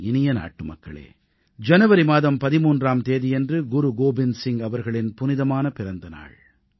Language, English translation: Tamil, My dear countrymen, January 13 is the date ofthe sacred festival observed in honour of Guru Gobind Singh ji's birth anniversary